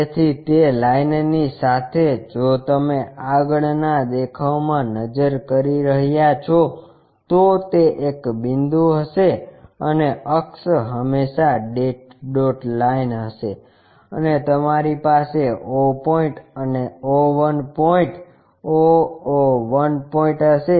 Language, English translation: Gujarati, So, along that line if you are looking in the front view it will be a point and axis always be dashed dot line and you will have o point and o 1 point o o 1 point